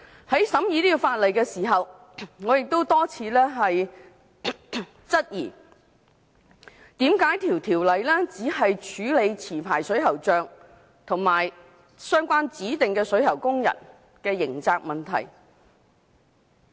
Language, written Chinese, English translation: Cantonese, 在審議《條例草案》的時候，我曾多次質疑為何《條例草案》只處理持牌水喉匠及相關指定水喉工人的刑責問題？, During the deliberation of the Bill I have repeatedly questioned the rationale for only dealing with the criminal liabilities of licensed plumbers and the prescribed plumbing workers . In most cases these prescribed persons are only executors of the plumbing works in the entire workflow